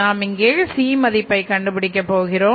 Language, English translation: Tamil, So we have to calculate the C here again